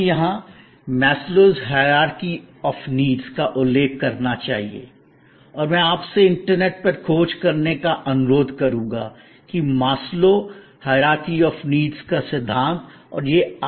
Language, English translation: Hindi, We must refer here on a tangent, important tangent, Maslow’s hierarchy of needs and I would request you to search on the internet, what is this hierarchy of needs